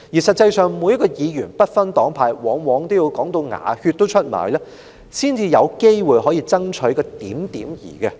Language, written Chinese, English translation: Cantonese, 實際上，每位議員，不分黨派，往往也要"講到出牙血"才有機會爭取到一點兒好處。, Actually it takes a huge amount of persuasion for any Member regardless of his or her party affiliation to lobby for a possible bit of benefit